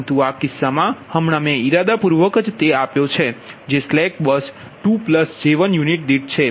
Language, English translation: Gujarati, but in this case, in this case i have just given it intentionally that are slack bus to plus j one per unit, right